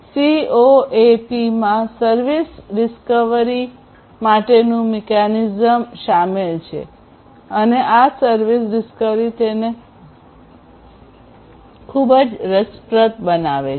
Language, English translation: Gujarati, So, CoAP includes a mechanism for service discovery and it is this service discovery that makes it very interesting